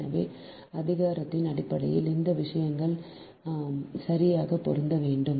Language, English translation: Tamil, so in terms of power, those things has to match right